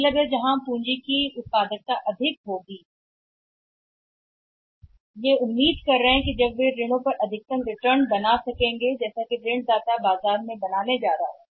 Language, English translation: Hindi, It means where the productivity of the capital is high where the banks are expecting that they will generate maximum returns from the loans or from the lender going to make in the market